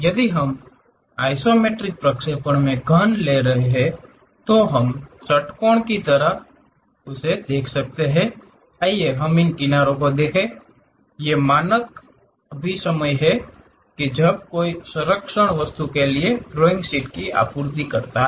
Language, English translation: Hindi, If we are taking a cube in the isometric projection, we sense it like an hexagon; so, let us look at these edges; these are the standard conventions when one supplies drawing sheets for the protection thing